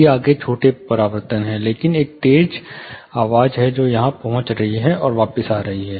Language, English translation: Hindi, These are further smaller reflections, but there is one sharp point which is getting here and coming back